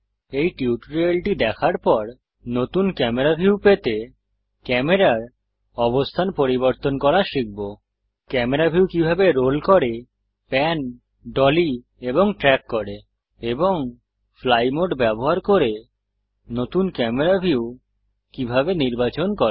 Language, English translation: Bengali, After watching this tutorial, we shall learn how to change the location of the camera to get a new camera view how to roll, pan, dolly and track the camera view and how to select a new camera view using the fly mode